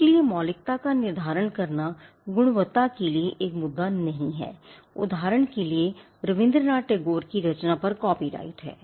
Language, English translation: Hindi, So, in determining originality quality is not an issue for instance Rabindranath Tagore’s poetry has copyright over it